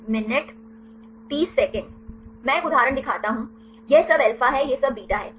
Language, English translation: Hindi, I show an example this is all alpha this is all beta right